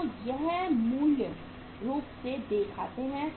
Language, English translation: Hindi, So this is basically accounts payable